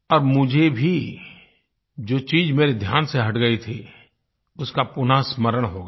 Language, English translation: Hindi, Thus I was also reminded of what had slipped my mind